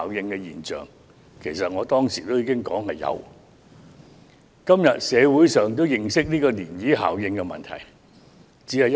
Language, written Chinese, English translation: Cantonese, 我當時曾說道會出現這效應，社會今天也認識到漣漪效應的問題。, At the time I said that ripple effects would come as a result and the community also realizes the problems associated with ripple effects today